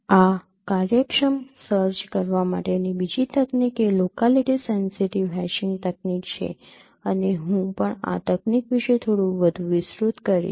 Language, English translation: Gujarati, The other technique for performing this efficient search is locality sensitive hashing technique and I would also elaborate a bit more about this technique